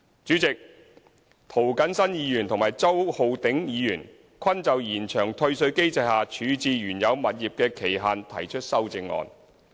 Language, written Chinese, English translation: Cantonese, 主席，涂謹申議員和周浩鼎議員均就延長退稅機制下處置原有物業的期限提出修正案。, President both Mr James TO and Mr Holden CHOW have proposed Committee stage amendments CSAs for extending the period for disposing the original property under the refund mechanism